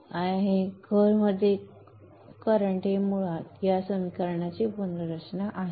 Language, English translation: Marathi, Now the flux within the core is basically rearrangement of this equation